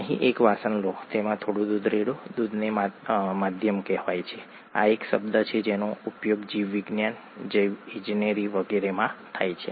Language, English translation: Gujarati, Take a vessel here, pour some milk into it, milk is called the medium; this is a term that is used in biology, biology, biological engineering and so on